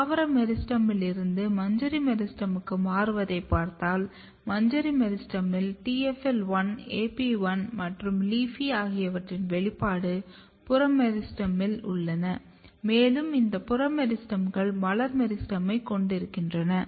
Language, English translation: Tamil, In the inflorescence meristem you have expression TFL1, AP1 and LEAFY are in the in the peripheral meristem and this peripheral meristems are giving floral meristem